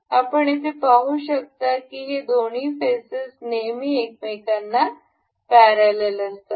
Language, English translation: Marathi, You can see this two faces are always parallel to each other